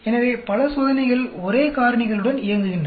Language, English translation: Tamil, So, multiple experiment runs with the same factors